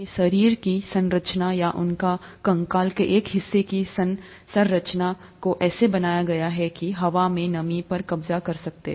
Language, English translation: Hindi, Their body structure or their, the structure of a part of the skeleton is designed such that to, in such a way to capture the moisture from the air